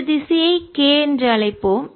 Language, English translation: Tamil, let's call this direction k